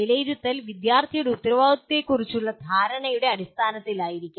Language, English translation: Malayalam, And assessment could be in terms of the student’s perception of his responsibilities